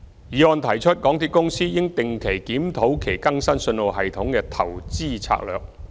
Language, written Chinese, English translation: Cantonese, 議案提出港鐵公司應定期檢討其更新信號系統的投資策略。, The motion proposes that MTRCL should regularly review its investment strategy of updating the signalling system